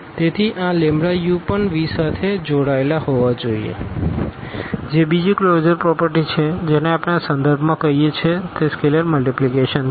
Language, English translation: Gujarati, So, this lambda u must also belong to V that is another closure property which we call with respect to this is scalar multiplication